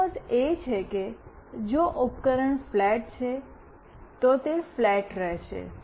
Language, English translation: Gujarati, That means, if the device is flat, it will remain flat